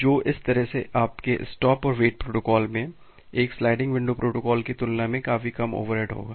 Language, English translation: Hindi, So, that way your stop and wait protocol will have significantly more sorry significantly less overhead compared to a sliding window protocol